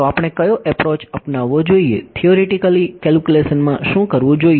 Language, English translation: Gujarati, So, what approach should we take, what we did in the theoretical calculation